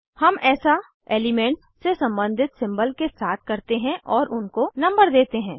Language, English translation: Hindi, We do this with symbols corresponding to the element and number